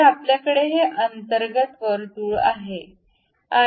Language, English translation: Marathi, So, internally we have this circle